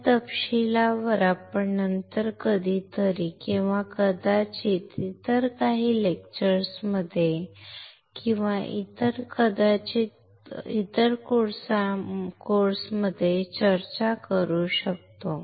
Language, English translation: Marathi, We can discuss this detail sometime later or maybe in some other lectures or maybe other course